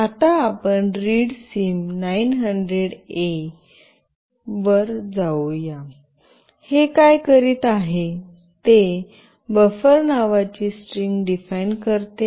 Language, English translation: Marathi, Let us go to readsim900A(), what it is doing it is defining a string called buffer